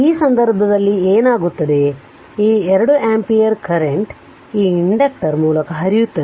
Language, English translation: Kannada, So, what will happen in that case this 2 ampere current will flow through this inductor